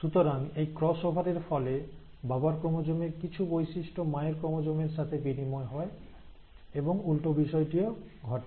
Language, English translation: Bengali, So now because of the cross over, some characters of the father’s chromosome have been exchanged with the mother’s chromosome and vice versa